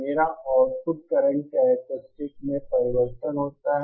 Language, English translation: Hindi, My output current characteristics changes